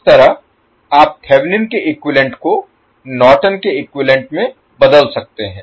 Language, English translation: Hindi, So in this way you can convert Thevenin’s equivalent into Norton’s equivalent